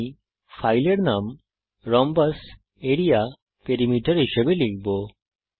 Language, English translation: Bengali, I will type the filename as rhombus area perimeter Click on Save